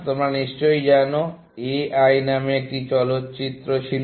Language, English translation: Bengali, So, you must be knowing, there was a film called A I, the movie